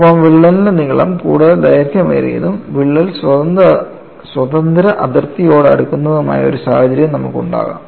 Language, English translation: Malayalam, And you could also have a situation, where the crack length becomes longer and longer and the crack becomes closer to the free boundary